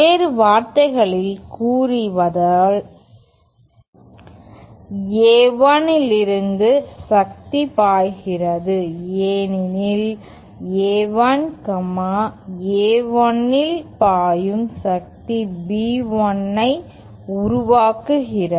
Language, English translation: Tamil, In other words, power is flowing from A1 because A1, the power flowing in A1 is giving rise to B1